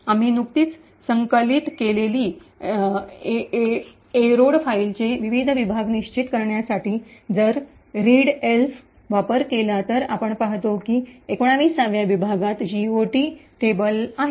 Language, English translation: Marathi, If we use readelf to determine the various sections of the eroded file that we have just compiled, we see that the 19th section has the GOT table